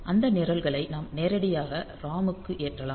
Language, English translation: Tamil, So, we can burn those programs to the ROM directly